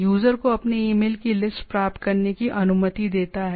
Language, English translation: Hindi, Allows user to obtain a list of their emails